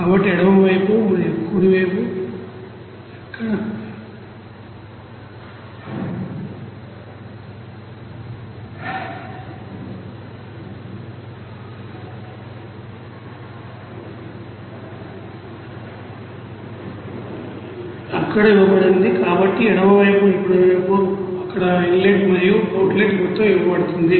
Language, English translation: Telugu, So in the left side and the right side it is given inlet and outlet you know amount there